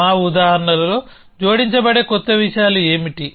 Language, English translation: Telugu, So, what are the new things which can be added in our example